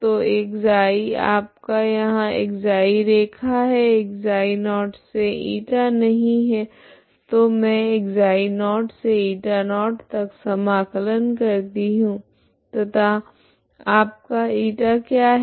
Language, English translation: Hindi, So ξ is this is yourξ line ξ is from ξ0to η not so I integrate from ξ0to η0 and what is your η